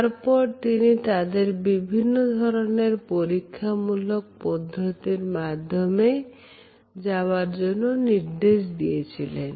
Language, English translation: Bengali, And then he had asked them to undergo different types of experimentations